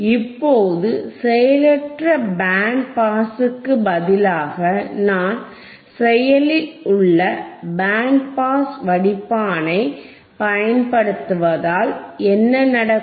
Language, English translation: Tamil, Now instead of passive band pass, if instead of passive band pass if I use if I use a active band pass filter if I use an active band pass filter,